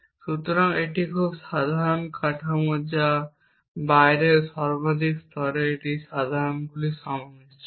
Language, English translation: Bengali, So, it is a very simple structures form at the outer most level it is a conjunction of clauses